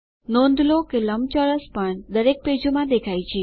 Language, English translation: Gujarati, Notice, that the rectangle is also displayed in all the pages